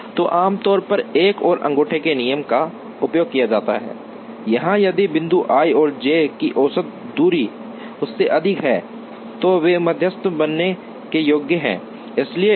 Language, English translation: Hindi, So, generally another thumb rule is used, where if points i and j have distance greater than the average distance of this then they qualified to be medians